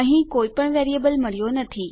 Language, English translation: Gujarati, We have got no variable here